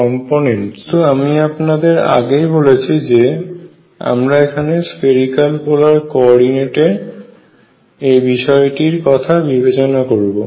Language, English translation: Bengali, So, it will be a good idea for all of you who are going through these lectures to review your spherical polar coordinates